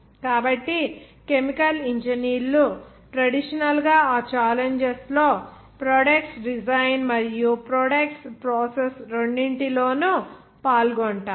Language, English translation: Telugu, So chemical engineers have traditionally been involved in both the design of the process and design of products under those challenges